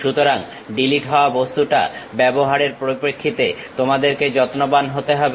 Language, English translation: Bengali, So, you have to be careful in terms of using delete object